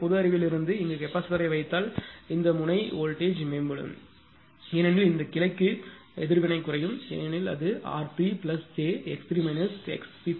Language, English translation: Tamil, So, from the common sense it suggests that if I put capacitor here then voltage of this node will improved because for this branch the reactance will decrease because it will be r 3 plus j x 3 minus x c 3